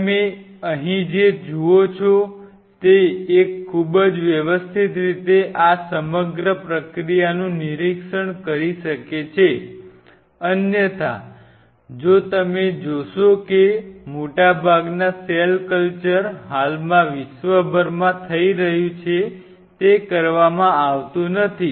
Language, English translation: Gujarati, What you see here is one can monitor this whole process in a very systematic way, which otherwise if you look at most of the cell culture were currently happening across the world are not being done